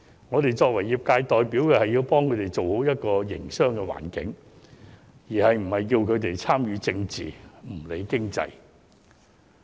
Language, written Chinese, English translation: Cantonese, 我們作為業界代表，要幫助他們建立一個良好的營商環境，而不是要求他們參與政治、不理經濟。, We being their trade representatives should help them create a favourable business environment instead of asking them to participate in politics and ignore the economy